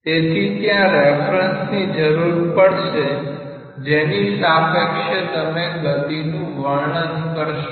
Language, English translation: Gujarati, So, there should be a reference frame with respect to which you are prescribing this velocity